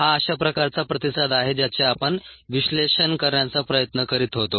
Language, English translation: Marathi, this is the kind of ah response that we were trying to analyze